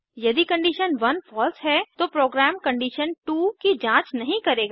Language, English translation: Hindi, If condition 1 is false, then the program will not check condition2